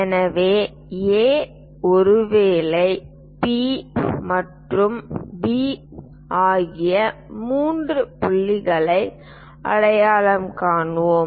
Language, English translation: Tamil, So, let us identify three points A, perhaps P and point B